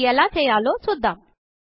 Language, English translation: Telugu, Let us learn how to do it